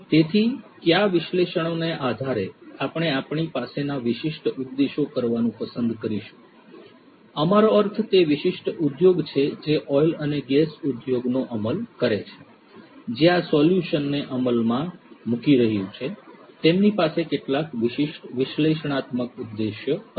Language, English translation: Gujarati, So, depending on what analytics, we would like to do the specific objectives that we have, we means the specific industry that is implementing the oil and gas industry that is implementing this solution, they would have some specific analytics objective